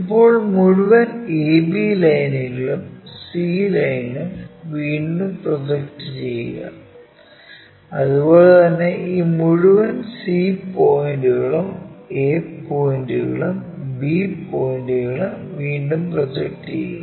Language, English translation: Malayalam, Now, re project this entire a b lines and c line and similarly re project this entire c points a points and b points